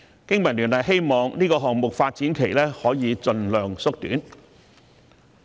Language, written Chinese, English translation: Cantonese, 經民聯希望這個項目的發展期可以盡量縮短。, BPA hopes that the development period of this project can be shortened as much as possible